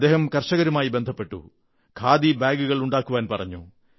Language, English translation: Malayalam, He contacted farmers and urged them to craft khadi bags